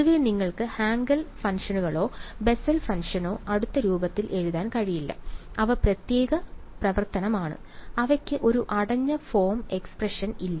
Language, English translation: Malayalam, In general you cannot write Hankel functions or Bessel function in closed form; they are special function, they do not have a close form expression